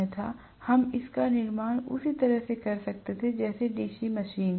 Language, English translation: Hindi, Otherwise we could have constructed it the same way as DC machine